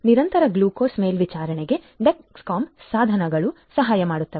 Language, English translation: Kannada, Dexcom devices can help in continuous glucose monitoring